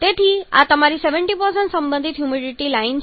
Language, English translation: Gujarati, So this is your 70% relative humidity